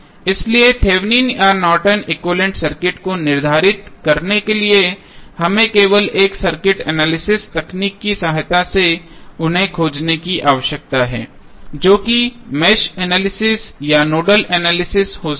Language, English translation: Hindi, So, therefore to determine the Thevenin or Norton's equivalent circuit we need to only find them with the help of a circuit analysis technique that may be the Mesh analysis or a Nodal Analysis